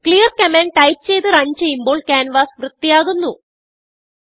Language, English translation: Malayalam, Let me type clear command and run clear command cleans the canvas